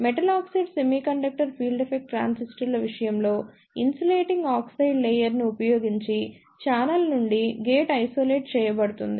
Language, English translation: Telugu, In case of Metal Oxide Semiconductor Field Effect Transistors, the gate is isolated from the channel using an insulating oxide layer